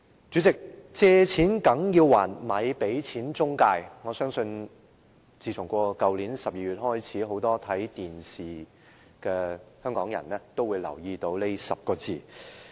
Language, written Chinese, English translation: Cantonese, 主席，"借錢梗要還，咪俾錢中介"，我相信自去年12月起，很多看電視的香港人都留意到這10個字。, President You have to repay your loans . Dont pay any intermediaries . I trust that since December last year many people of Hong Kong would have noticed these ten words when they watch the television